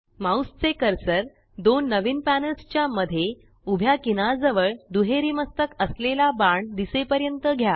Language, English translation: Marathi, Move your mouse cursor to the horizontal edge between the two new panels till a double headed arrow appears